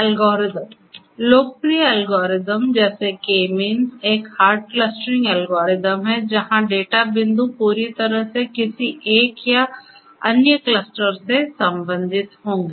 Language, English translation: Hindi, Algorithms; popular algorithms such as the K means is a hard clustering algorithm, where the data points will belong to one cluster completely or another